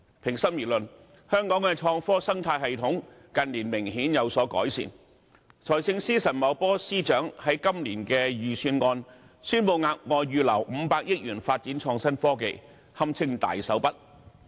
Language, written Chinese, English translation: Cantonese, 平心而論，香港的創科生態系統近年明顯有所改善，財政司司長陳茂波在今年的預算案宣布額外預留500億元發展創新科技，這堪稱"大手筆"。, To give the matter its fair deal a marked improvement has been noted in the ecosystem of innovation and technology in Hong Kong in recent years . Financial Secretary Paul CHAN announced in this years Budget that an additional 50 billion will be set aside for the development of innovation and technology which may be applauded as a generous gesture